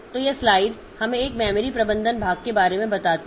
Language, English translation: Hindi, So, this slide is telling us like for a memory management part